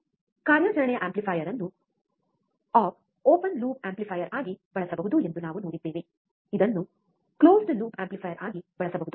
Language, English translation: Kannada, We have seen operational amplifier can be used as an op open loop amplifier, it can be used as an closed loop amplifier